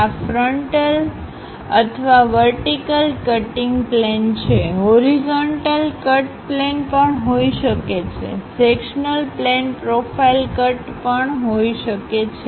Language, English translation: Gujarati, There are frontal or vertical cutting plane; one can have horizontal cut plane also, sectional planes are profile cut one can have